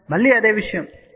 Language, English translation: Telugu, So, located again the same thing 0